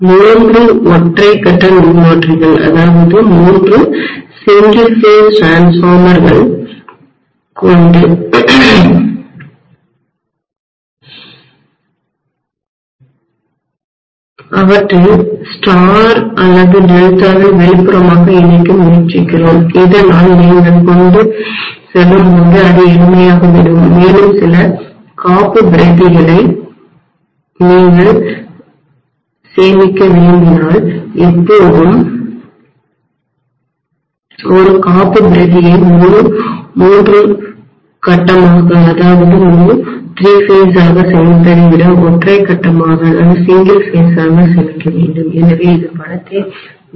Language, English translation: Tamil, We try to make a three single phase transformers connect them in star or delta externally, so that when you transport it becomes simpler and also if you want to store some of the backups you can always store a backup as a single phase rather than storing the entire three phase, so it saves on money, right